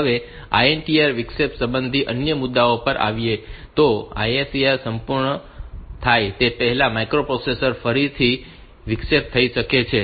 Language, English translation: Gujarati, Now, coming to the other issues regarding a INTR interrupts can the microprocessor be interrupted again before completion of the ISR